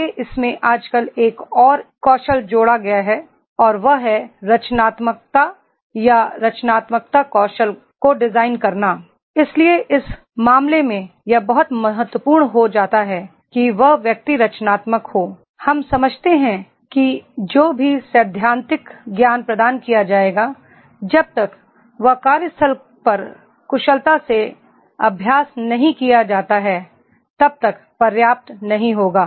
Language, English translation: Hindi, Further in this one more nowadays and one more skill has been added and that is designing skill or creativity or creative skills, so therefore in that case it becomes very important that is the person is creative, we understand that whatever theoretical knowledge will be imparted that will not be enough unless and until it is not skilfully practiced at the workplace